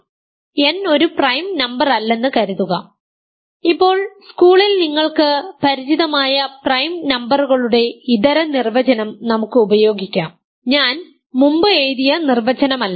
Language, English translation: Malayalam, So, now, we will use the alternative definition of prime numbers that you are familiar with school in school, not the definition I wrote earlier